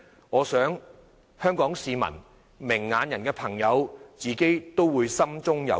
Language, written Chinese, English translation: Cantonese, 我想香港市民和明眼的朋友自己都會心中有數。, I believe the Hong Kong public and people with a discerning eye have all formed their own judgment